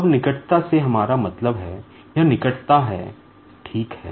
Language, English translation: Hindi, Now, by proximity we mean, it is the closeness, ok